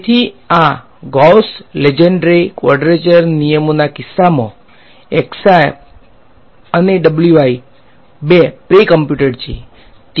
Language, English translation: Gujarati, So, in the case of these Gauss Lengedre quadrature rules both the x i's and the w i’s these are pre computed